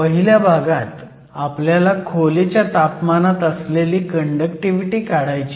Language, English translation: Marathi, So, In the first part, we want to calculate the room temperature conductivity